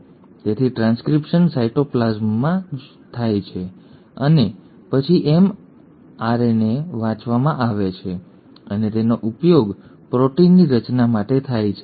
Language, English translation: Gujarati, So the transcription happens in the cytoplasm itself and then the mRNA is read and is used for formation of proteins